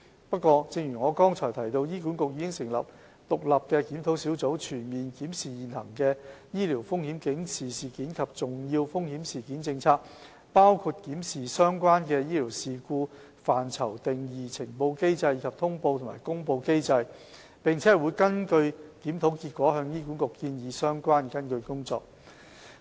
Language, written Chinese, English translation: Cantonese, 不過，正如我剛才提到，醫管局已成立獨立檢討小組，全面檢視現行的醫療風險警示事件及重要風險事件政策，包括檢視相關的醫療事故範疇及定義、呈報機制，以及通報和公布機制，並會根據檢討結果向醫管局建議相關的跟進工作。, As I have mentioned above HA has nevertheless established an independent review panel to conduct a comprehensive review of the Policy which covers examination on the definition and scope of the events related to clinical incidents reporting mechanism as well as notification and announcement mechanisms . The review panel will make recommendations to HA on follow - up actions according to the findings